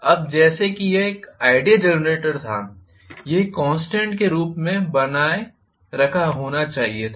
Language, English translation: Hindi, Now, as if it had been an ideal generator, this should have been maintained as a constant